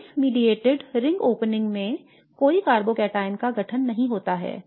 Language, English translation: Hindi, In the base mediated ring opening there is no carbocataon formation